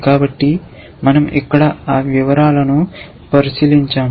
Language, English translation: Telugu, So, we will not look into those details here